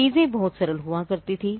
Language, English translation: Hindi, Things used to be much simpler